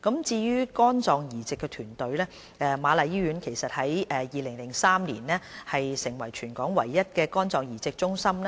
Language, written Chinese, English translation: Cantonese, 至於肝臟移植團隊，瑪麗醫院於2003年成立全港唯一的肝臟移植中心。, As for the liver transplant team the Queen Mary Hospital set up in 2003 the only liver transplant centre in Hong Kong